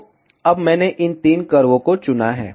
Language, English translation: Hindi, So, now I have selected these three curve